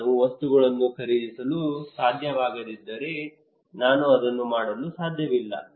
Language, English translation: Kannada, If the materials I cannot buy I cannot do it